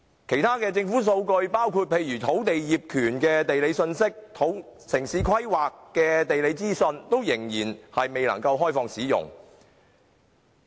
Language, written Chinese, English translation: Cantonese, 其他數據如土地業權的地理信息及城市規劃的地理資訊仍未能開放使用。, Various data such as the geographic information of land titles and town planning are still not open to public use